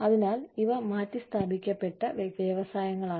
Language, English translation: Malayalam, So, these are the industries, that get replaced